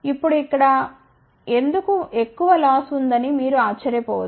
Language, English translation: Telugu, Now, you might wonder why there is a more loss over here